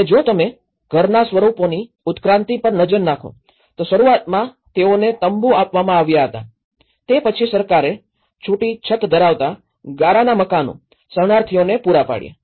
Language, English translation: Gujarati, And if you look at the evolution of house forms, initially they were given as a tents, then the government have provide with thatched roofs, mud houses of refugees